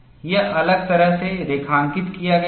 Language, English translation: Hindi, It is plotted differently